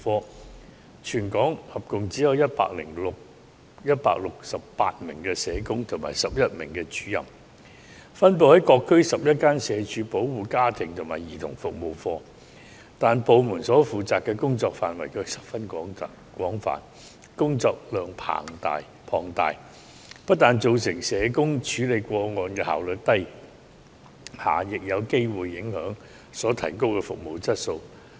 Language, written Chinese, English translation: Cantonese, 該部門在全港合共只有168名社工及11名主任，分布於各區11間社署保護家庭及兒童服務課，但部門所負責的工作範圍卻十分廣泛，工作量龐大，不但造成社工處理個案的效率低下，亦有機會影響所提供的服務質素。, Under the units there are 168 social workers and 11 officers who are deployed in 11 district offices all over Hong Kong . As the units need to take care of a wide range of scope of duties and the case load is very heavy their social workers are handling the cases with low efficiency and the quality of service may also be affected